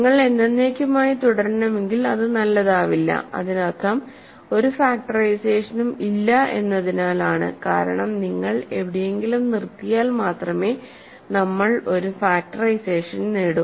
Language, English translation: Malayalam, So, that will not be good right, if you have to continue forever, that means there is no factorization for a because you cannot only if you stop somewhere we achieve a factorization of a